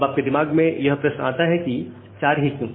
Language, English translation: Hindi, Now a question may come to in your mind that why 4